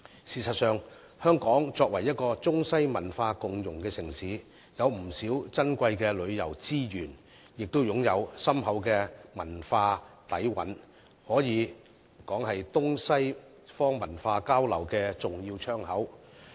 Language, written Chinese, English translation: Cantonese, 事實上，香港作為中西文化共融的城市，擁有不少珍貴的旅遊資源，亦擁有深厚的文化底蘊，可以說是東西方文化交流的重要窗口。, In fact as a city where Eastern and Western cultures co - exist harmoniously Hong Kong has many precious tourism resources and a profound cultural heritage . It can be said that Hong Kong is an important window for cultural interaction between East and West